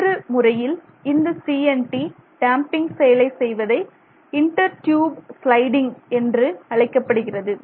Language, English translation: Tamil, There is another way in which CNTs can do damping and that is called intertube sliding